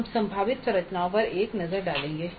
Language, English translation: Hindi, We will have a look at the possible structures